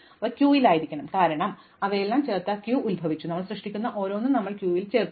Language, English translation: Malayalam, So, it must be in the queue, because we adding them all initially to the queue and each one we generate we will add to the queue